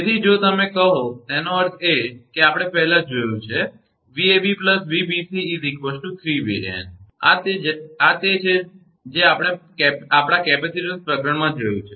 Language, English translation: Gujarati, So, if you call; that means, we have seen earlier that Vab and Vbc is equal to 3 Van, this is we have seen our capacitor chapter